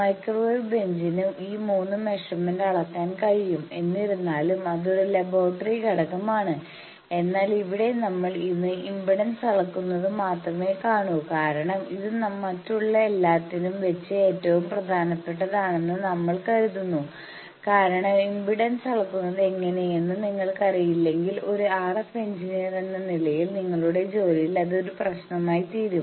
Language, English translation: Malayalam, Microwave bench can measure these 3 quantities so; however, that is a laboratory component, but here we will be seeing only impedance measurement in today because we consider this is the most important amongst the others because unless and until you know how to measure impedance, an RF engineer will find problem in his career